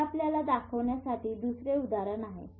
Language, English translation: Marathi, This is just another example to show you